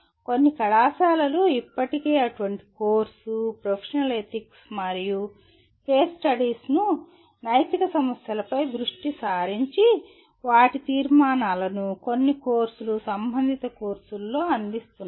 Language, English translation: Telugu, Some colleges already offer such a course, professional ethics and or case studies with focus on ethical issues and their resolutions into in some courses, relevant courses